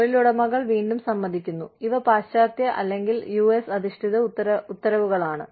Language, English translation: Malayalam, Employers accord, again, you know, these are western, or US based mandates